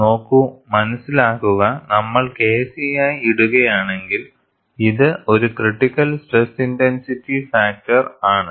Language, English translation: Malayalam, See, the understanding is, if we put as K c, it is a critical stress intensity factor